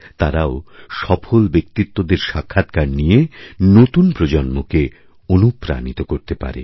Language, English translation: Bengali, They too, can interview such people, and inspire the young generation